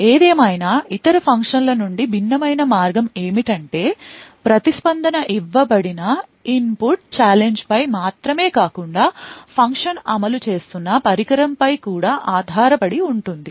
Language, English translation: Telugu, However, the way it is different from other functions is that the response not only depends on the input challenge that is given but also, on the device where the function is executing in